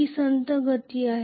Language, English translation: Marathi, It is a slow motion